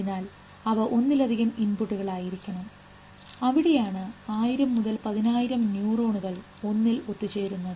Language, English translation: Malayalam, So, there have to be multiple inputs and that is why 1,000 to 10,000 neurons converge on one in each one of them further